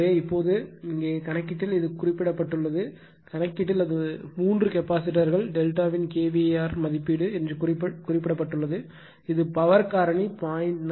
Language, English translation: Tamil, So, now, , in the here in the problem it is mentioned , that in the , problem it is mentioned that that you are the kVAr rating of the three capacitors delta connected in parallel the load to raise the power factor 0